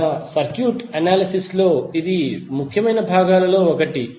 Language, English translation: Telugu, This is also one of the important component in our circuit analysis